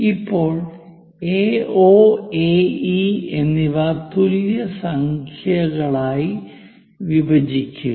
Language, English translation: Malayalam, Then divide AO and AE into same number of points